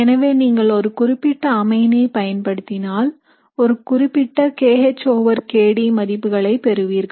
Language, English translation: Tamil, So if you use one particular amine you will get a particular kH over kD value